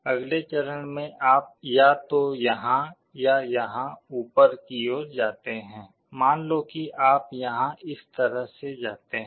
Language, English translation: Hindi, Next step you either go up here or here, let us say you go here like this